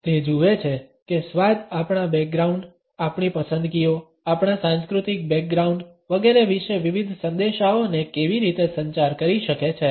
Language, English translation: Gujarati, It looks at how taste can communicate different messages regarding our background, our preferences, our cultural background etcetera